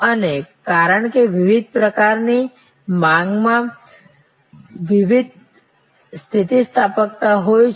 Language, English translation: Gujarati, And because the different types of demands have different elasticity